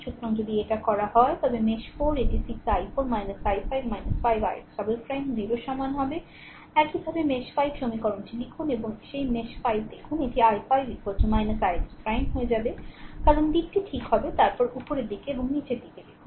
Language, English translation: Bengali, So, if you do so, mesh 4 it will become 6 i 4 minus i 5 minus 5 i x double dash equal to 0, similarly mesh 5 you write the equation and look at that mesh 5 it will become i 5 is equal to minus i x double dash, because direction will just see upward and downward right